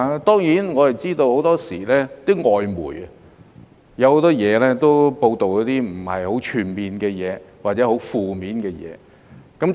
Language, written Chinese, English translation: Cantonese, 當然，我們知道很多時候外媒有很多報道並不全面或者是很負面的事情。, We do know that very often foreign media reports are either incomprehensive or rather negative